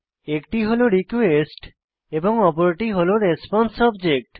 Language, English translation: Bengali, One is the request and the other is the response object